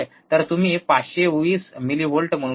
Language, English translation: Marathi, So, or you can say 520 millivolts